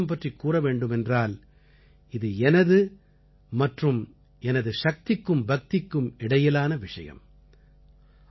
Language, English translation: Tamil, As far as the navaraatri fast is concerned, that is between me and my faith and the supreme power